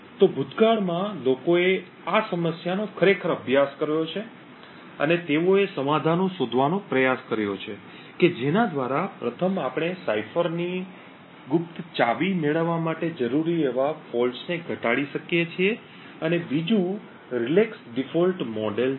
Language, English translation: Gujarati, So in the past people have actually studied this problem and they have tried to find out solutions by which firstly we can reduce the number of faults that are required to obtain the secret key of the cipher and 2nd also relax default model